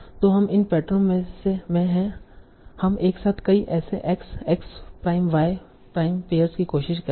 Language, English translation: Hindi, And that's how you will try to, so using these patterns, you will try to gather many such x, x, x, y, prime, pairs